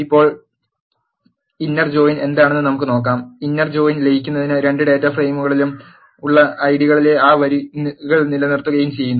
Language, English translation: Malayalam, Now, let us see what inner join does, inner join merges and retains those rows in the ids present in the both data frames